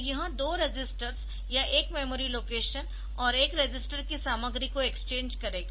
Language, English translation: Hindi, So, it will exchange this content of two registers or a memory location and a register